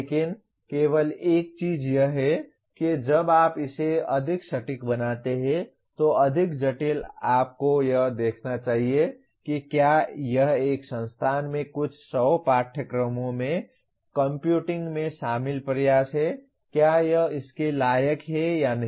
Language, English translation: Hindi, But the only thing is when you make it more precise, more complicated you should see whether the, it is the effort involved in computing across few hundred courses in an institution is it worth it or not